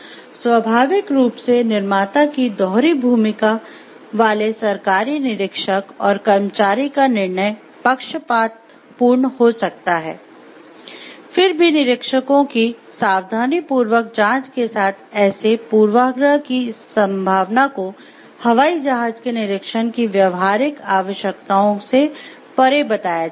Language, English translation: Hindi, Naturally the dual roles government inspector and employee of the manufacturer being inspected could bias judgment, yet with careful screening of inspectors the likelihoods of such bias is said to be outweighed by the practical necessities of airplane inspection